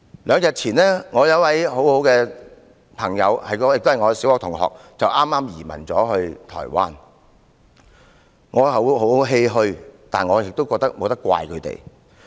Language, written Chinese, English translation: Cantonese, 兩天前，我一位很要好的朋友兼小學同學移民台灣，我感到十分欷歔，但我又怎能怪責他們？, Two days ago one of a very good friend of mine who was also my classmate in primary school migrated to Taiwan . It made me very sad but can I blame him?